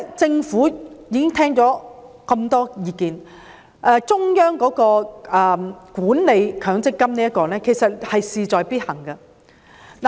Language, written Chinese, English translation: Cantonese, 政府聆聽了這麼多意見，我認為中央管理強積金的模式是事在必行。, This is basically putting the cart before the horse . The Government has listened to many views among which I consider the model of a centrally managed MPF a must